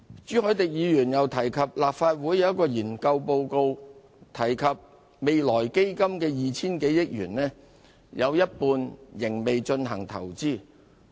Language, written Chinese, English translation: Cantonese, 朱凱廸議員又提及，立法會一份研究報告提到未來基金的 2,000 多億元有一半仍未進行投資。, Mr CHU Hoi - dick has also mentioned that it is stated in a research report of the Legislative Council that half of 200 - odd billion of the Future Fund has not been invested yet